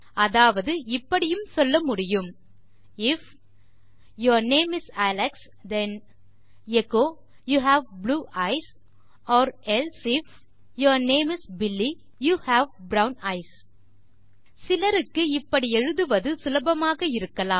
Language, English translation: Tamil, That is I could say IF your name is Alex then echo you have blue eyes or ELSE IF your name is Billy you have brown eyes Probably for some people its easy to do it this way